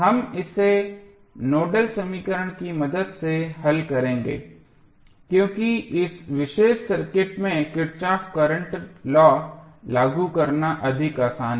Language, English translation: Hindi, We will solve it with the help of Nodal equation because it is easier to apply Kirchhoff Current Law in this particular circuit